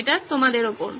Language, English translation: Bengali, Over to you guys